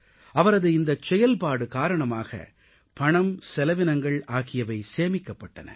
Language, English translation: Tamil, This effort of his resulted in saving of money as well as of resources